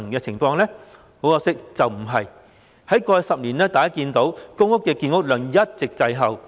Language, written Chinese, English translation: Cantonese, 大家可以看到，在過去10年，公屋的建屋量一直滯後。, As we can see the production of PRH units has all along been in a lag over the past decade